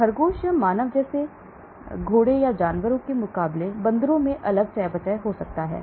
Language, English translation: Hindi, Monkeys may have different metabolism as against horses or animal like rabbit or human